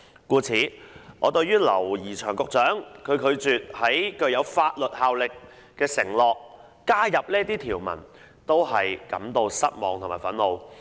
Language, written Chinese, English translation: Cantonese, 故此，對於劉怡翔局長拒絕加入這些條文，作出具有法律效力的承諾，我感到失望和憤怒。, Therefore I am disappointed and infuriated by Secretary James LAUs refusal to include a provision making a binding commitment